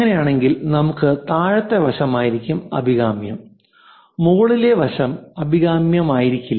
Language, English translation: Malayalam, In that case what we will do is lower side is preferable upper side is not preferable